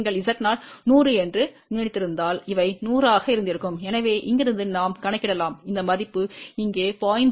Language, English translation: Tamil, If our Z 0 was suppose 100, then these would have been 100; say from here we can calculate this value is 0